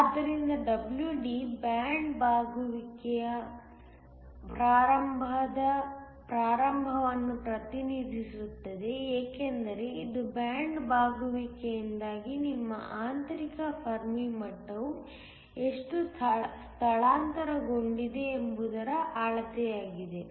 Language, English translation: Kannada, So, WD represents the start of the band bending because it is a measure of how much your intrinsic fermi level as shifted because of band bending